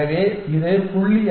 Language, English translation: Tamil, So, this turns out to be 0